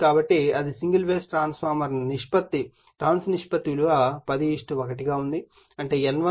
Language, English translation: Telugu, So, that will be single phase single phase transformer has a turns ratio 10 is to 1 that is N1 is to N2 = 10 is to 1 and is fed from a 2